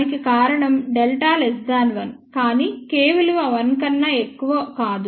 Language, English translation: Telugu, The reason for that is delta is less than 1, but K is not greater than 1